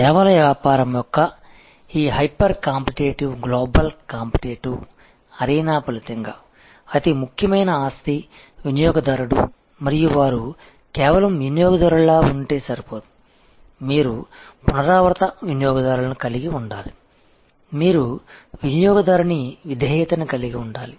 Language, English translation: Telugu, As a result in this hyper competitive globally competitive arena of services business, the most important asset is customer and just having customers is not enough, you need to have repeat customers, you need to have customer loyalty